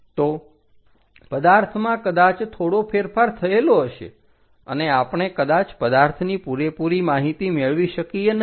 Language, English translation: Gujarati, So, the object might be slightly skewed and we may not get entire information about the object